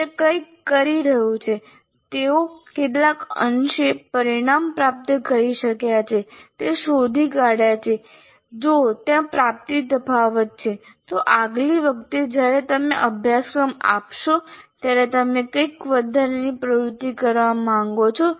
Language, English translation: Gujarati, That is having done something, having found out to what extent they have attained the outcomes, if there is an attainment gap, what is the additional activities that you would like to do next time you offer the course